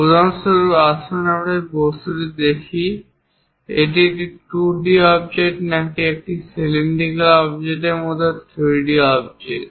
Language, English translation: Bengali, Instead of a plane object like 2d object, if it is a cylindrical object let us look at it